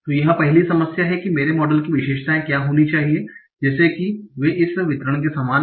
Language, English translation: Hindi, What should be the features of my model, such that they resemble this distribution